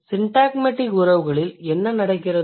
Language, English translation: Tamil, So, what happens in syntagmatic relations